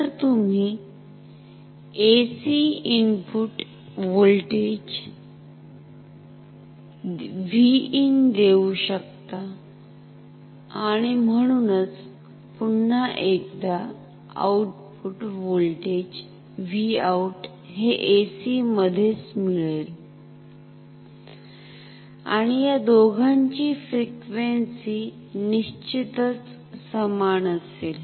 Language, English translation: Marathi, So, you can give input voltage V in AC of course, and so we will get a voltage V out once again AC ok, and the frequency of this two will be definitely same